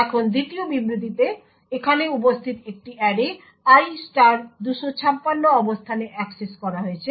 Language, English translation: Bengali, Now in the second statement an array which is present over here is accessed at a location i * 256